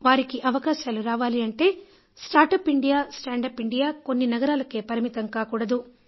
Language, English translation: Telugu, This "Startup India, Standup India" should not be limited to a few cities only